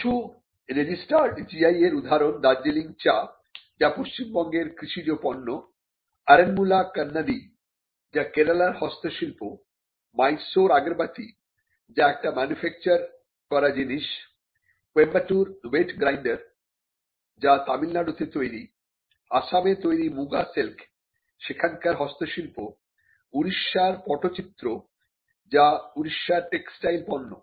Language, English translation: Bengali, Some registered GI is include Darjeeling tea, which is an agricultural product belonging to West Bengal, Aranmula Kannadi which is a handicraft product from Kerala, Mysore Agarbathi which is a manufactured product, Coimbatore wet grinder again a manufactured product from Tamilnadu, Muga silk of Assam again a handicraft from Assam, Orissa pattachitra which is a textile product from Odisha